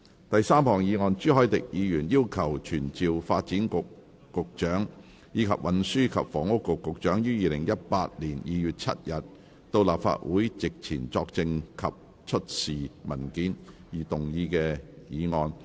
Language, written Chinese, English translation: Cantonese, 第三項議案：朱凱廸議員要求傳召發展局局長，以及運輸及房屋局局長於2018年2月7日到立法會席前作證及出示文件而動議的議案。, Third motion Motion to be moved by Mr CHU Hoi - dick to summon the Secretary for Development and the Secretary for Transport and Housing to attend before the Council on 7 February 2018 to testify and produce documents